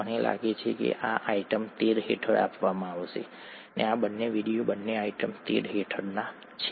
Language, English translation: Gujarati, I think these are given in, under item 13, these two videos both are under item 13